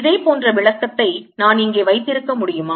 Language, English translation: Tamil, can i have a similar interpretation here in